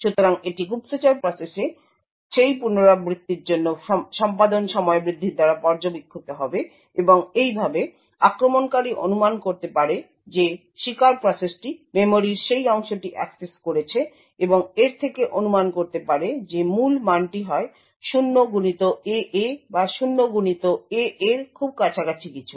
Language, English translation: Bengali, So this would be observed by an increase in the execution time for that iteration in the spy process and thus the attacker can infer that the victim process has accessed that portion of memory and from that could infer that the key value is either 0xAA or something very close to 0xAA